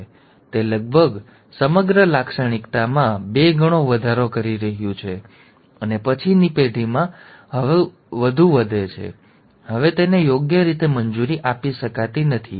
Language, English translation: Gujarati, Now that is almost increasing the entire characteristic by two fold and in the subsequent generation further increases, now that cannot be allowed right